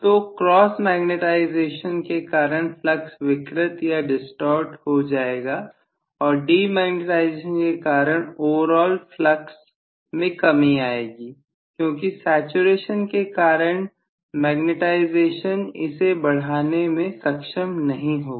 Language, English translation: Hindi, So overall flux will distorted due to the cross magnetization and overall flux will get depleted because of demagnetization, because the magnetization will not be able to increase it that much due to saturation